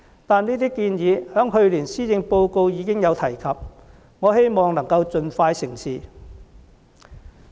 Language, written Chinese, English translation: Cantonese, 但是，這些建議在去年施政報告已有提及，我希望能夠盡快成事。, These recommendations however were also found in the Policy Address last year . I hope that they can be implemented very soon